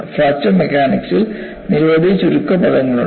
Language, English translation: Malayalam, There are many many abbreviations in fracture mechanics